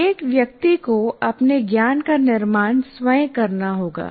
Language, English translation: Hindi, You, each individual will have to construct his own knowledge